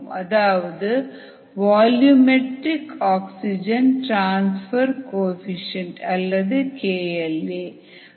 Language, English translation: Tamil, so it's called the volumetric oxygen transfer coefficient